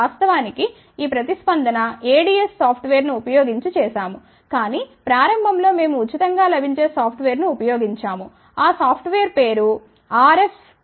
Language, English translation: Telugu, Of course, this particular thing has been done using ADS software , but in the beginning we had used ah freely available software the name of the software is RFsim99 dot exe